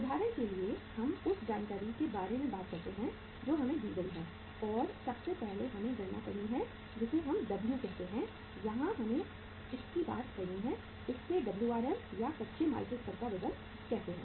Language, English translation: Hindi, Say for example we talk about the the information which is given to us and we have to now calculate the first way that is called as W uh this we have to talk here as that say Wrm, weight at the raw material stage